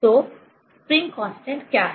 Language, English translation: Hindi, So, what is the spring constant